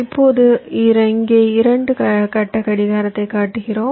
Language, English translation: Tamil, ok, now here we show two phase clocking